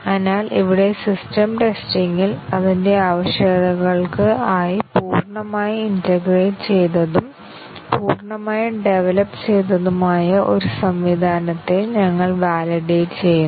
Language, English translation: Malayalam, So, here in system testing, we validate a fully integrated, a fully developed system against its requirements